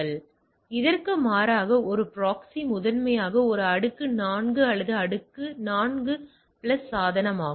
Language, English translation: Tamil, So, in contrast proxy is primarily layer 4 or layer 4 plus device